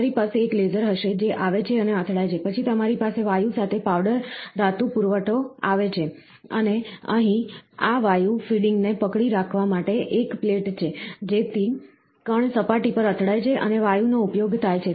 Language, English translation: Gujarati, So, you will have a laser which comes and hits, then you have a powder metal supply with gaseous is done, and here is a plate to hold this gas feeding, so that the particle are hitting at the surface and the gas is used